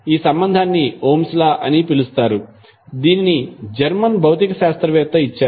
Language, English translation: Telugu, This relationship is called as Ohms law, which was given by the, that German physicist